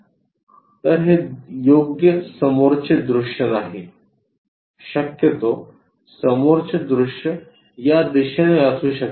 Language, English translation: Marathi, So, this is not right front view, possibly the front view might be in this direction